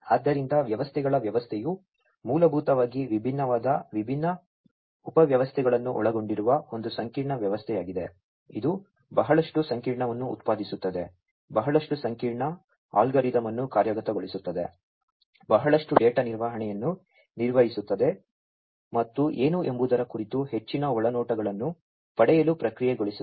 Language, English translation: Kannada, So, a system of systems is basically a complex system consisting of different, different subsystems together working together generating lot of complex, you know, executing lot of complex algorithm, generating lot of data handling to be handled, and processed to get lot of insights about what is going on down underneath